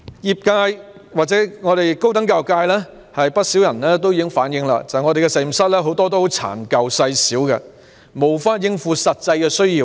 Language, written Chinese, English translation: Cantonese, 不少高等教育界人士已經反映，很多實驗室殘舊細小，無法應付實際需要。, Many people in the higher education sector have reflected that many laboratories being old and small fail to meet actual needs